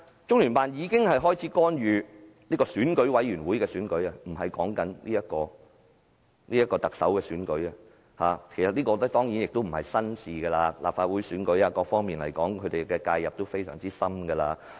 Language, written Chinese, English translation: Cantonese, 中聯辦一開始便干預選舉委員會的選舉，而不是特首的選舉，但這當然並非甚麼新鮮事，無論是立法會選舉或其他選舉，他們的介入都非常深入。, LOCPG had intervened in the EC election but not the Chief Executive Election at the outset but this is certainly nothing new . Either the Legislative Council election or other elections there were in - depth interventions